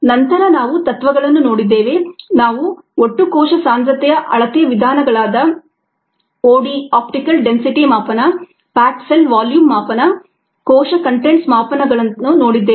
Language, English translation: Kannada, we looked at methods for total cell concentration measurement, ah, such as o d measurement, the pack cell volume measurement, the cell contents measurement and ah